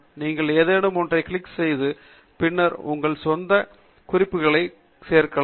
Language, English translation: Tamil, You can double click on any of the items and add notes for your own reference later on